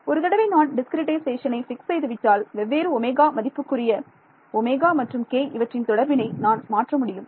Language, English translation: Tamil, Yeah, once I fix a discretization I will change the relation between omega and k at different omegas